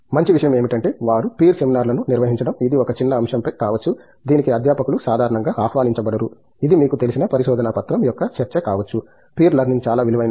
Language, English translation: Telugu, Best thing is to have them organize peer seminars, it could be on a small topic that faculty is not typically invited for that, it could be discussion of a research paper where you know, peer learning is much more valuable